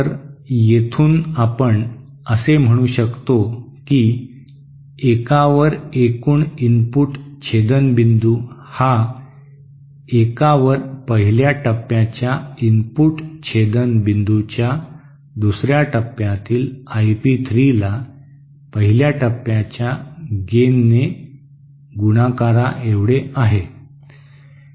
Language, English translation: Marathi, So, from here we can say that one over the input intercept point total is equal to 1 over input intercept point the first stage multiplied by the gain of the first stage over I P 3 of the second stage